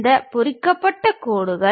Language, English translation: Tamil, These are the hatched lines